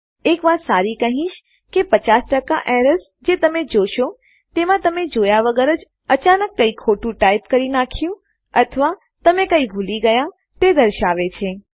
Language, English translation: Gujarati, I would say a good 50% of errors that you encounter are when you either dont see something you have accidentally typed or you have missed out something